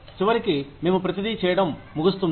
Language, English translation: Telugu, And eventually, we end up doing everything